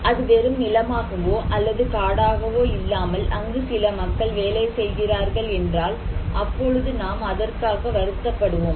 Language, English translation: Tamil, So, now if it is not a barren land or a forest, but some people are working there, then do we care now